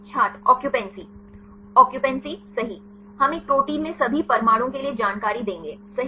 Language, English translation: Hindi, Occupancy Occupancy right we will give all the information for all the atoms right in a protein